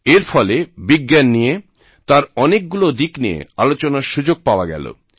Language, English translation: Bengali, I have often spoken about many aspects of science